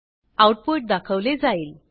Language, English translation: Marathi, The output is shown